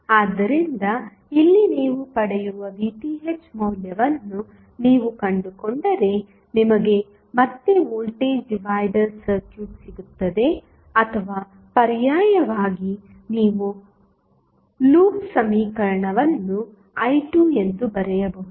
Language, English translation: Kannada, So, here if you find out the value of Vth what you get you will get again the voltage divider circuit or alternatively you can write the loop equation say I2